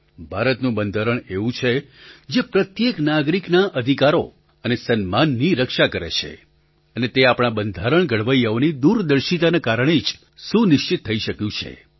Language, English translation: Gujarati, Our constitution guards the rights and dignity of every citizen which has been ensured owing to the farsightedness of the architects of our constitution